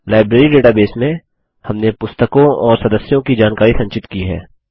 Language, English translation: Hindi, In this Library database, we have stored information about books and members